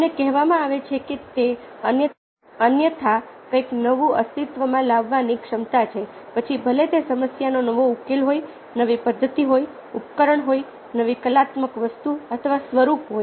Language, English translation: Gujarati, we have told that it is a ability to make, otherwise bring into existence something new, ok, whether a new solution to a problem, a new method, a device, a new artist or form